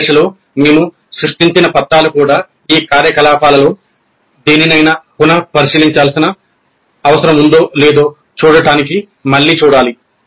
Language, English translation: Telugu, The documents that we have created in this phase also need to be really looked at again to see if any of these activities need to be revisited